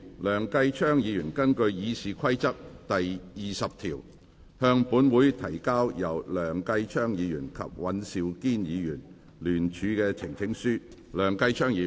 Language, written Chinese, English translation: Cantonese, 梁繼昌議員根據《議事規則》第20條，向本會提交由梁繼昌議員及尹兆堅議員聯署的呈請書。, In accordance with Rule 20 of the Rules of Procedure Mr Kenneth LEUNG will present a petition co - signed by Mr Kenneth LEUNG and Mr Andrew WAN to this Council